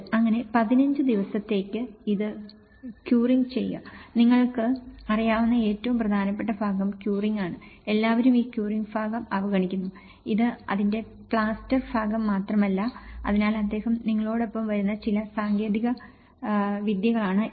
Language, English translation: Malayalam, So, in that way curing it for 15 days, the curing is most important part you know, everyone ignores this curing part, it is only not just only the plaster part of it so, these are some few techniques which he comes up with you know how to retrofit these things